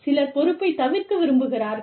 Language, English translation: Tamil, Some people, like to avoid, responsibility